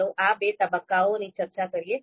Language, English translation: Gujarati, So let us talk about these two phases